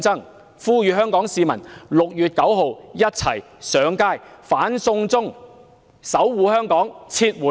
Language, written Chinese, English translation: Cantonese, 我呼籲香港市民 ：6 月9日一起上街"反送中"，守護香港，撤回惡法。, I call on the people of Hong Kong to Join us at the march on No China Extradition on 9 June to safeguard Hong Kong and to demand withdrawal of the draconian law